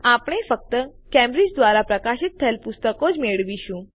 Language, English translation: Gujarati, We will retrieve only those books published by Cambridge